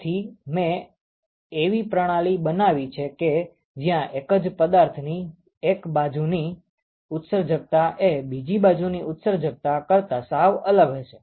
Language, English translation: Gujarati, So, I create a system where the emissivity of one side is completely different from the emissivity of the other side of the same object